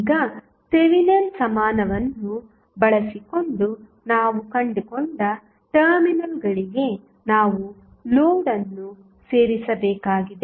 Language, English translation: Kannada, Now, what next we have to do the terminals across which we have just found the Thevenin equivalent we have to add the load